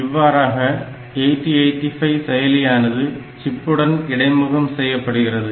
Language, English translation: Tamil, So, this way the chip can be interfaced with the 8085 processor